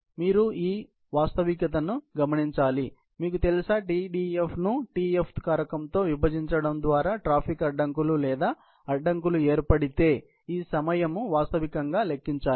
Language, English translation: Telugu, So, therefore, you have to divide this real, you know, you have to sort of calculate this time real that it takes, in case there is a traffic blockage or obstruction by dividing the Tdf with the Tf factor